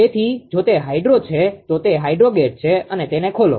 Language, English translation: Gujarati, So, if it is a hydro then it will be hydro gate right open it